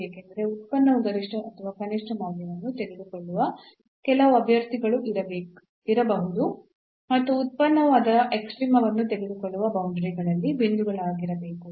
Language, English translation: Kannada, Because, there may be some candidates where the function may take maximum or minimum value and there may be the points on the boundaries where the function may take its extrema